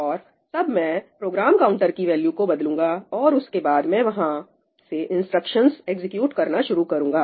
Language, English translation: Hindi, And then I change the value of Program Counter; and then I start executing instructions from there